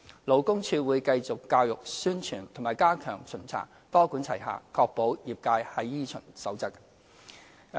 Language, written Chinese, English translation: Cantonese, 勞工處會繼續教育、宣傳和加強巡查，多管齊下確保業界依循《守則》。, To ensure the industrys compliance with the Code LD will continue to pursue its multi - pronged approach of education publicity and stepped up inspections